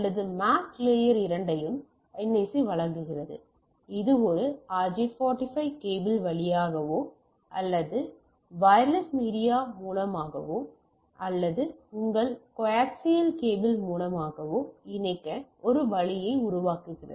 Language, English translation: Tamil, So, NIC provides both this MAC and the physical layer as we are discussing it gives a connect a way to connect through a RJ 45 cable or through a wireless media or even through your say coax cable if it is like there coaxial cable is there is prevent